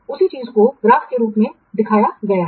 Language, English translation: Hindi, The same thing has been shown in the form of a graph